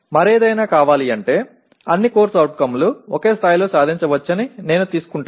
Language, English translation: Telugu, For want of anything else I take that all COs are attained to the same extent